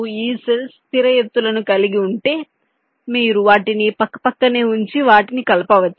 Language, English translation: Telugu, why, if this cells have fixed heights, you can put them side by side and joint them together